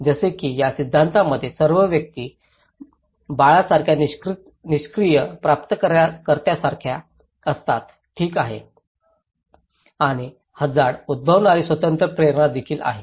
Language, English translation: Marathi, Like, in this theory all individuals are like a passive recipient like a baby, okay and there is of an independent stimulus that is the hazard